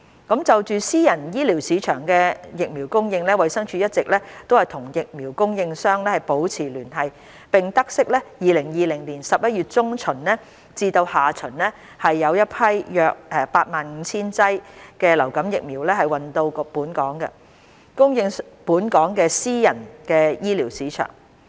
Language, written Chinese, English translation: Cantonese, 就私人醫療市場的疫苗供應，衞生署一直與疫苗供應商保持聯繫，並得悉2020年11月中旬至下旬有新一批約 85,000 劑流感疫苗運到香港，供應本港私人醫療市場。, Regarding the supply of vaccines in the local private healthcare sector DH has been closely in touch with the vaccine suppliers and noted the arrival of a new batch of influenza vaccines of around 85 000 doses in mid to late November 2020 for supply to local private healthcare sector